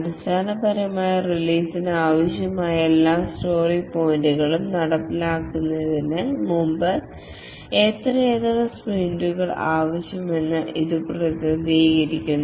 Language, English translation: Malayalam, Basically, it represents how many more sprints are required before all the required story points for the release are implemented